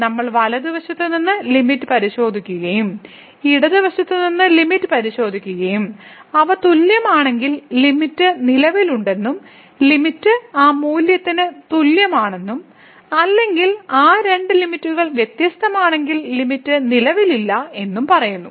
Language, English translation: Malayalam, So, we used to check the limit from the right side and limit from the left side and if they are equal, then we say that the limit exist and limit is equal to that value or if those two limits are different then, we call that the limit does not exist